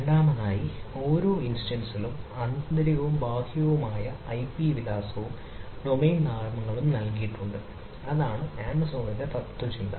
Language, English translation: Malayalam, so secondly, each instance is assigned internal and external ip address and a domain names